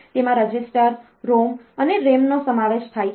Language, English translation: Gujarati, It includes the registers, ROM and RAM